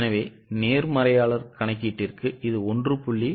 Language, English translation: Tamil, So, for optimist calculation it is into 1